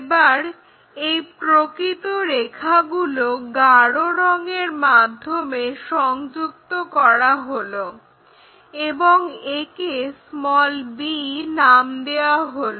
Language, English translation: Bengali, Now, join that by true line by darker one and call this one b point